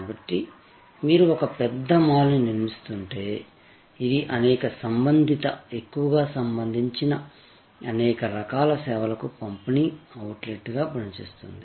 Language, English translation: Telugu, So, if you are constructing a large mall, which will act as a distribution outlet for number of different types of services some related, mostly related